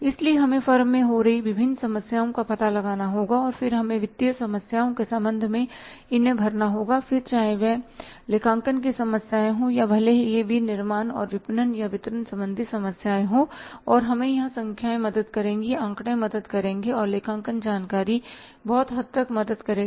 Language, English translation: Hindi, So, we have to find out the different problems happening in the firm and then we have to plug these with regard to financial problems, accounting problems and even if it is manufacturing and marketing or the distribution related problems we will have to and there the numbers help figures help and accounting information help to a larger extent